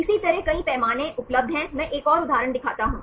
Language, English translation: Hindi, Likewise there are several scales available, I show another example